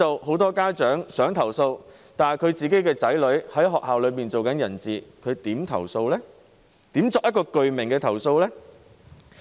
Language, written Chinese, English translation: Cantonese, 很多家長想投訴，但由於他的子女在學校內是"人質"，他如何作具名投訴呢？, While many parents want to lodge a complaint how can they lodge a signed complaint when their children are virtually taken hostage in schools?